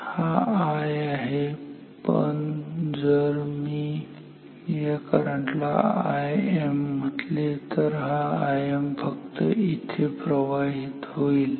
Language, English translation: Marathi, So, I is continuous; this is I, but if I call this current as I m; I m flows only here this is I m